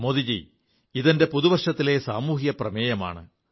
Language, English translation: Malayalam, Modi ji, this is my social resolution for this new year